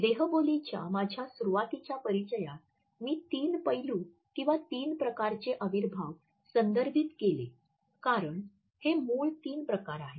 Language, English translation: Marathi, In my initial introduction to body language I had referred to three aspects or three types of kinesics because these are the original three types